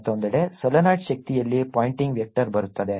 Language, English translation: Kannada, on the other hand, in the solenoid, energy is coming in, the pointing vector comes in